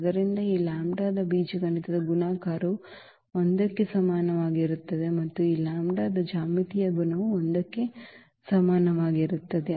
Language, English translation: Kannada, So, the geometric multiplicity of this lambda is equal to 3 is 1 and the algebraic multiplicity of this lambda is equal to 3 was also 1 in this case